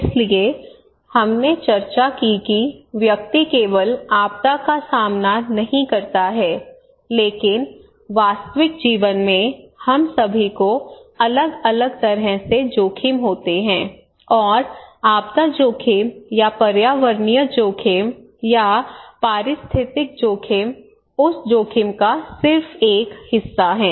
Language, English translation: Hindi, So we discussed that individual does not face only disaster, but in real life we all have different kind of risk, and disaster risk or environmental risk or ecological risk is just one part of that risk